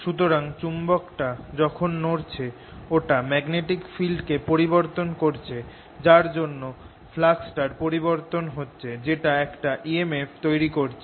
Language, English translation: Bengali, so as the magnet is moving around, its changing the magnetic field and the change in the magnetic field changes the flux and that generates an e m f